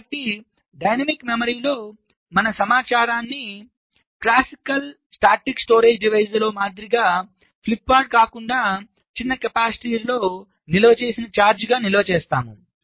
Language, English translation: Telugu, so in a dynamic memory we store the information not as a flip flop as in a classical statics storage device, but as the charge stored on a tiny capacitor